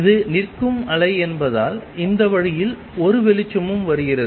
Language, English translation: Tamil, Then since this is the standing wave there is a light coming this way also